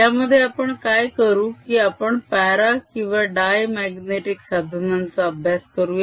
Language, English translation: Marathi, what we'll be doing in this is deal with para, slash, dia magnetic materials